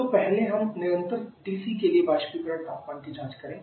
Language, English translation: Hindi, So first let us check the evaporation temperature for constant TC